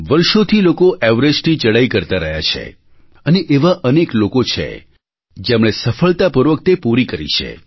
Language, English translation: Gujarati, People have been ascending the Everest for years & many have managed to reach the peak successfully